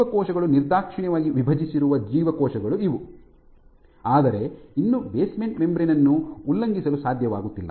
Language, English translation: Kannada, These are cells in which the cells have divided indiscriminately, but are still unable to breach the basement membrane